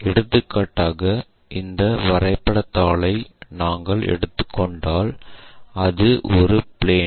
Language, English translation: Tamil, For example, if we are taking this drawing sheet, it is a plane